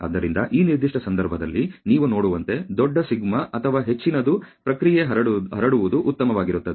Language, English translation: Kannada, So, in this particular case as you can see greater is the σ or the greater is the process spread the better it is ok